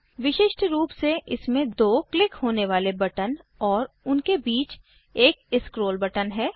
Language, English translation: Hindi, Typically, it has 2 clickable buttons and a scroll button in between